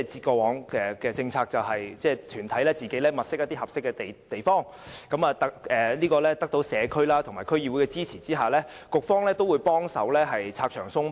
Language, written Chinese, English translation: Cantonese, 過往的政策，便是由團體自行物色合適地點，並在得到社區和區議會的支持下，局方會同時幫忙拆牆鬆綁。, According to the policy in the past the organization had to identify a suitable site for holding bazaars of its own accord and with the support of the community and DC the Policy Bureau would help to cut the red tape